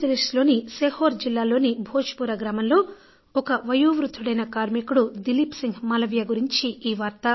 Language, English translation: Telugu, Dileep Singh Malviya is an elderly artisan from Bhojpura village in Sehore district of Madhya Pradesh